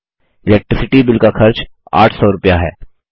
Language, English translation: Hindi, The cost for the Electricity Bill is rupees 800